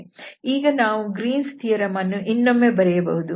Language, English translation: Kannada, So the Greens theorem now we can write down or rewrite it again